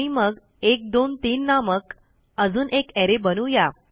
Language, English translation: Marathi, And then we type 123 and that is equal to an array